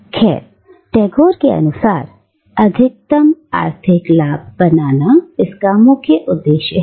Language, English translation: Hindi, Well, according to Tagore, it is the purpose of creating maximum economic profit